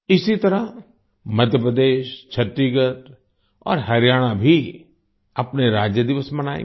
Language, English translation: Hindi, Similarly, Madhya Pradesh, Chhattisgarh and Haryana will also celebrate their Statehood day